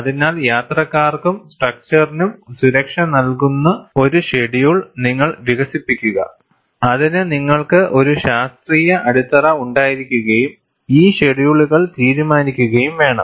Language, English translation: Malayalam, So, if you have to develop a schedule, which is also going to give you safety for the passengers, as well as the structure, you have to have a scientific basis and decide these schedules